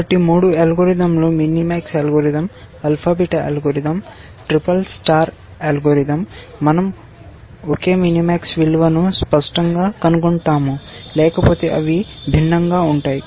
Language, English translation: Telugu, So, all the three algorithms mini max algorithm, alpha beta algorithm, SSS star algorithm, we find the same mini max value obviously, otherwise they would be different